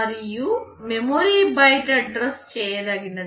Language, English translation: Telugu, And your memory is byte addressable